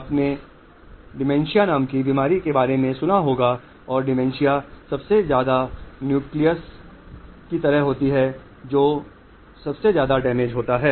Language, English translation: Hindi, You must have heard of a illness called dementia and dementia is like the most, the nucleus which is the most damage is